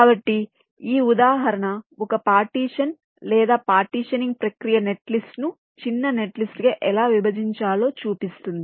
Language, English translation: Telugu, so this example shows roughly how a partition or the partitioning process should split a netlist into a smaller netlist